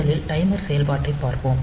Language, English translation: Tamil, So, we will first look into the timer operation